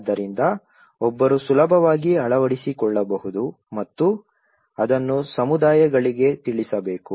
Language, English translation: Kannada, So one has, can easily adopt and it has to be furthered informed to the communities